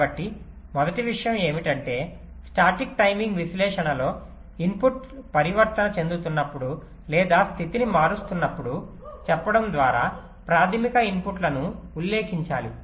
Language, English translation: Telugu, ok, so the first thing is that in static timing analysis we have to annotate the primary inputs by saying that when the inputs are transiting or changing state